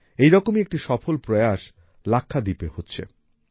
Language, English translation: Bengali, One such successful effort is being made in Lakshadweep